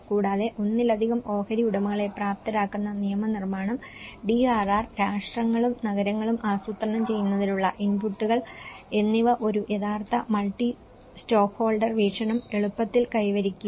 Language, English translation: Malayalam, Also, the despite legislation enabling multiple stakeholders, inputs into planning of DRR, nations and cities do not easily achieve a true multi stakeholder perspective